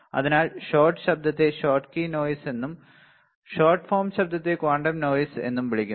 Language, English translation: Malayalam, So, shot noise is also called Schottky noise or shot form of noise is also called quantum noise